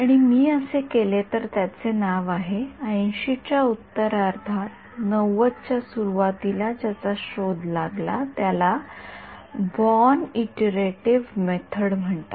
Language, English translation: Marathi, And if I do that that there is a name for it discovered late 80’s early 90’s called the Born Iterative Method